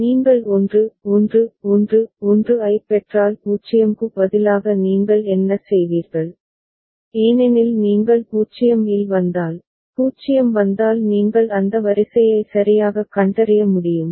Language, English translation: Tamil, But instead of 0 if you get a 1 1 1 1 what will you do you will stay at c because after that if a 0 comes you should be able to detect the sequence ok